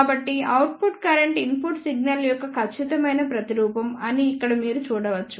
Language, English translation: Telugu, So, here you can see that the output current is the exact replica of the input signal